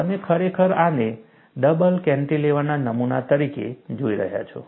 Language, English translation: Gujarati, You are actually looking this as a double cantilever specimen